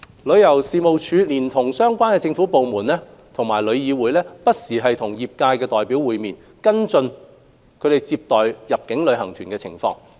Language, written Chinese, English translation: Cantonese, 旅遊事務署連同相關政府部門及旅議會不時與業界代表會面，跟進其接待入境旅行團的情況。, The Tourism Commission together with relevant government departments and TIC meet with trade representatives from time to time to keep an eye on their arrangements in receiving inbound tour groups